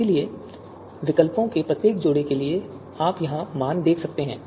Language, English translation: Hindi, So for you know each pair of alternative, you can see the values here